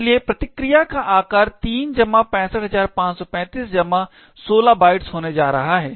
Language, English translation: Hindi, Therefore, the size of the response is going to be 3 plus 65535 plus 16 bytes